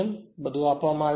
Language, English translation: Gujarati, So, everything is given